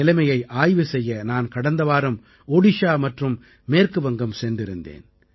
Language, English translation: Tamil, I went to take stock of the situation last week to Odisha and West Bengal